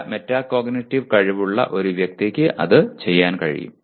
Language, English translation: Malayalam, And a person with good metacognitive skills will be able to do that